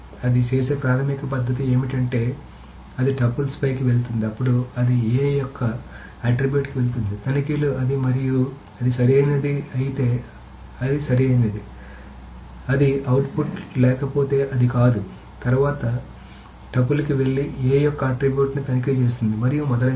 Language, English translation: Telugu, What is the basic manner of doing it is that it goes over the tuples, then it goes to the attribute of A, checks it and if it is correct it says it is correct, it is output, otherwise it is not